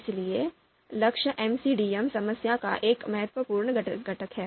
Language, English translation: Hindi, So goal is one important component of MCDM problem